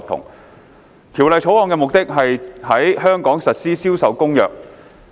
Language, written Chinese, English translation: Cantonese, 《貨物銷售條例草案》的目的是在香港實施《銷售公約》。, The purpose of the introduction of the Sale of Goods Bill the Bill is to implement CISG in Hong Kong